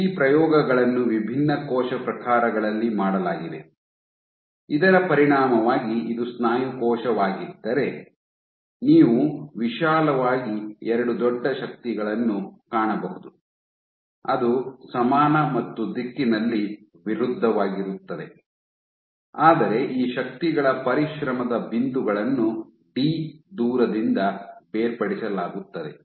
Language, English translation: Kannada, And these experiments have been done for multiple different cell types as a consequence of which say for example, if this is a muscle cell, you would find broadly two big forces which are equal and opposite in direction, but the points of exertion of these forces are separated by a distance d